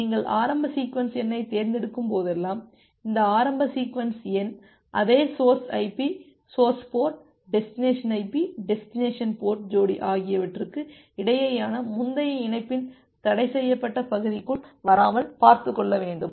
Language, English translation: Tamil, And whenever you are selecting the initial sequence number, you need to ensure that this initial sequence number do not fall within the forbidden region of the previous connection between the same source IP, source port, destination IP, destination port pair